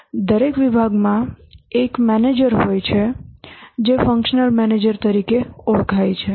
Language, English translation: Gujarati, Each department has a manager called as the functional manager